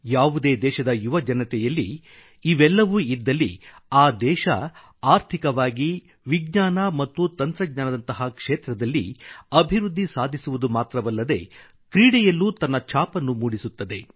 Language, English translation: Kannada, If the youth of a country possess these qualities, that country will progress not only in areas such as Economy and Science & Technology but also bring laurels home in the field of sports